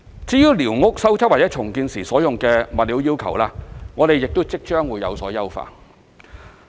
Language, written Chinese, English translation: Cantonese, 至於寮屋修葺或重建時所用的物料要求，我們亦即將有所優化。, Soon we will also improve the requirements on the building materials used for repairing and rebuilding squatters